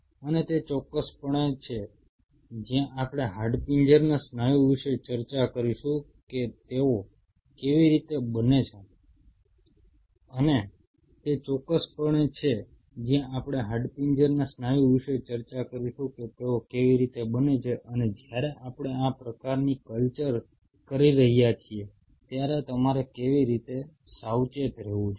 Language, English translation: Gujarati, And that is precisely is where we will be discussing about skeletal muscle that how they grow and how you have to be careful while we will be doing this kind of cultures